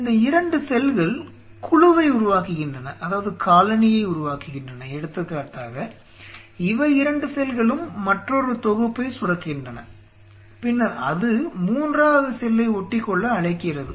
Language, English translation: Tamil, Again these 2 cells then form the colony say for example, they these 2 secrete another set of then it invites the third one to form